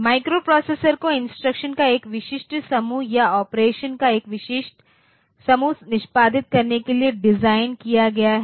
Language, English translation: Hindi, So, each microprocessor is designed to execute, a specific group of instruction a specific group of operation